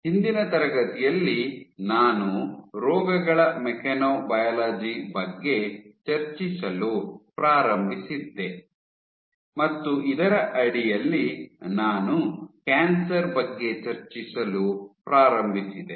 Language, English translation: Kannada, So, in the last class, I had started discussing mechanobiology of diseases and under this started discussing about cancer